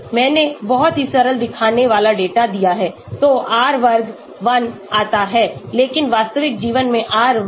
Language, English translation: Hindi, I have given a very simple looking data so that is why R square comes to be 1 but in real life R square maybe 0